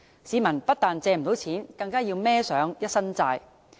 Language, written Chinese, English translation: Cantonese, 市民不但借不到錢，更要負上一身債。, Not only have members of the public failed to borrow money they have also become heavily indebted